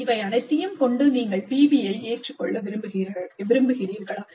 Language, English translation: Tamil, With all this, you want to adopt PBI, then what